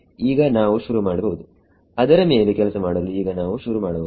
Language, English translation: Kannada, Now we can start now we can start working in it